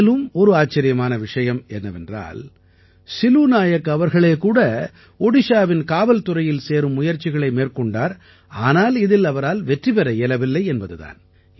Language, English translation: Tamil, By the way, you will also be amazed to know that Silu Nayak ji had himself tried to get recruited in Odisha Police but could not succeed